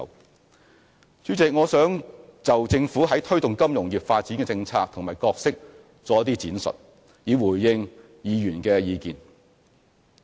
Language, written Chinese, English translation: Cantonese, 代理主席，我想就政府推動金融業發展的政策及角色作一些闡述，以回應議員的意見。, Deputy President in response to the views expressed by Members I would like to make some elaboration on the policies adopted and the role played by the Government in promoting the development of the financial industry